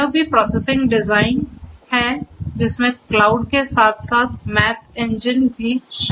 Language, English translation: Hindi, This is also this processing engine which consists of the cloud as well as the Math Engine